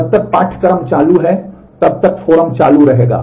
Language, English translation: Hindi, As long as the course is on, the forum would be on